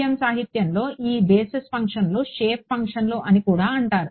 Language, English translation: Telugu, In the FEM literature these basis functions are also called shape functions